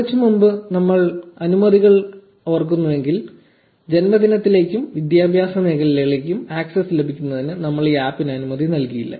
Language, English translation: Malayalam, So, if you remember the permissions a while ago, we did not give permission to this app for getting access to birthday and its education fields